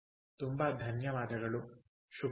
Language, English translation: Kannada, ok, thank you very much